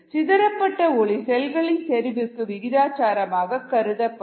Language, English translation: Tamil, the light that is been scattered is proportional to the concentration of cells